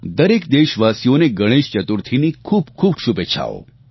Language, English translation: Gujarati, My heartiest greetings to all of you on the occasion of Ganeshotsav